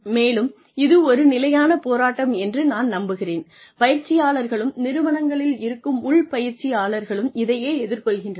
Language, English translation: Tamil, And, I am sure that this is a constant struggle, that trainers, in house trainers in organizations, also face